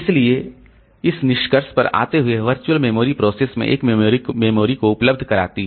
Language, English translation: Hindi, So, coming to the conclusion, so virtual memory makes memory available to a process very large